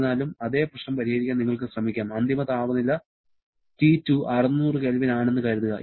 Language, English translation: Malayalam, However, you can try to solve the same problem assuming the final temperature T2 to be something like say 600 Kelvin